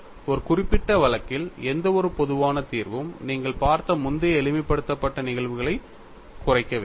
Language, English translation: Tamil, Any general solution in a particular case should reduce to the earlier simplified cases that you are looked at